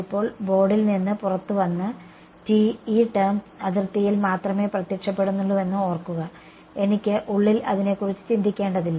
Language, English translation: Malayalam, Coming out of the board now t hat and remember this term is only appearing on the boundary I do not have to think about it on the inside